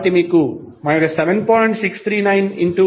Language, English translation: Telugu, So, you will get 9